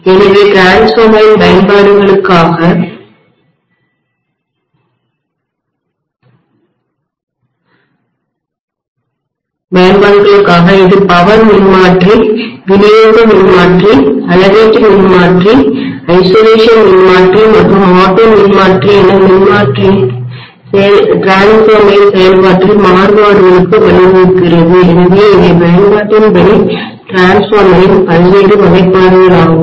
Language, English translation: Tamil, So, so much so for the applications of transformer this also gives rise to variations in the functionality of the transformer as power transformer, distribution transformer, measurement transformer, isolation transformer and auto transformer, so these are the various classifications of transformer as per the application